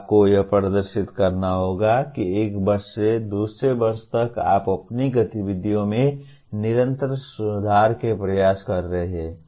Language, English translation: Hindi, You have to demonstrate that from one year to the other you are making efforts to continuously improve your activities